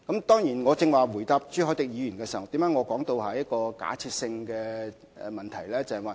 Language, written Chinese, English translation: Cantonese, 當然，我剛才回答朱凱廸議員時，為何會說這是假設性問題？, Why did I say Mr CHU Hoi - dicks question was hypothetical when I answered it just now?